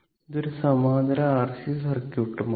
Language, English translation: Malayalam, So, this is your R L circuit